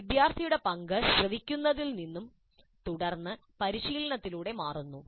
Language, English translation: Malayalam, The role of a student changes from listening and then practicing to learning by doing